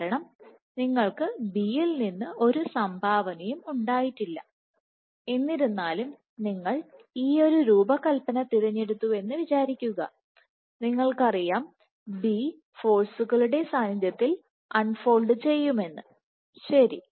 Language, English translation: Malayalam, Because you have not gotten any contribution from B; however, let us say you have chosen this alternate design and you know that B unfolds under force ok